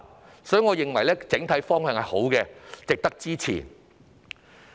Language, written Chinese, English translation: Cantonese, 就此，我認為整體方向正確，值得支持。, Therefore I think the general direction of the proposal is correct and worthy of support